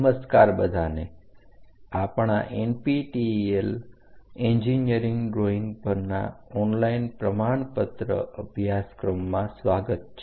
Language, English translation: Gujarati, Hello everyone, welcome to our NPTEL online certification courses on engineering drawing